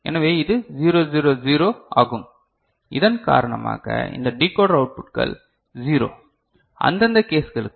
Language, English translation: Tamil, So, this is 0 0 0 because of this that this decoder outputs are 0 for these respective cases